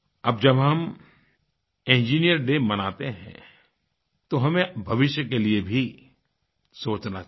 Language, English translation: Hindi, While observing Engineers Day, we should think of the future as well